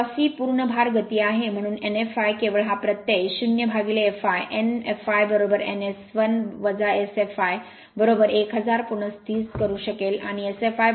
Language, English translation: Marathi, Now c is the full load speed, so n f l you can just replace this suffix 0 by fl; n f l is equal to n S 1 minus S f l this is your 1000 and S f l is 0